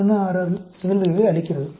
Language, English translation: Tamil, 166; it gives you a probability of 0